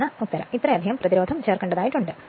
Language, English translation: Malayalam, So, this is the answer, this much resistance has to be inserted right